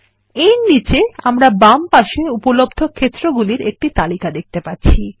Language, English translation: Bengali, Below this, we see a list of available fields on the left hand side